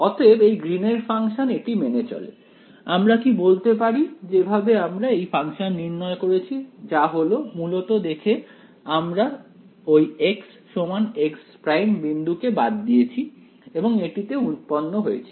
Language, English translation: Bengali, So, this Green’s function it satisfies it right, can we say that the way we derived this function was by looking at basically we ignore the point x is equal to x prime and we derived this right